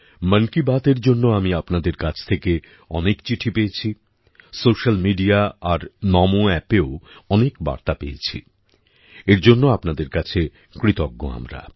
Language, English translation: Bengali, I have received many letters from all of you for 'Mann Ki Baat'; I have also received many messages on social media and NaMoApp